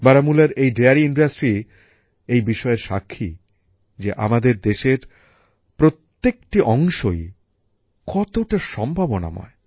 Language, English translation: Bengali, The dairy industry of Baramulla is a testimony to the fact that every part of our country is full of possibilities